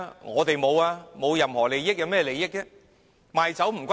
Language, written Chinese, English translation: Cantonese, 我們並無任何利益，有甚麼利益？, We do not have any interests or benefit at all . What interests or benefit can we get?